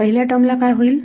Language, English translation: Marathi, What happens to the first term